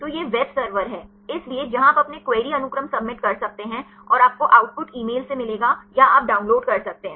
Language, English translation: Hindi, So, this is the web server; so where you can submit your query sequences and you will get the output either by email or you can get download